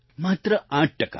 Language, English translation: Gujarati, Just and just 8%